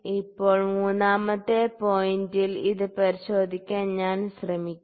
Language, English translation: Malayalam, Now, I will try to check it at the third point